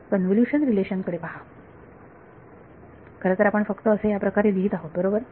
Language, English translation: Marathi, Look at the convolution relation, rather we are just writing it like this right we have been writing it like this